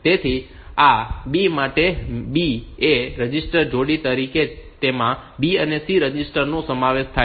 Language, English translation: Gujarati, So, for this B, B is as A register pair it consists of the registers B and C